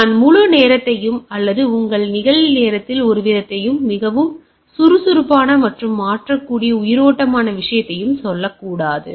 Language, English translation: Tamil, I should not say fully real time, or some sort of in your real time or a lively thing which is very dynamic and mutable things right type of things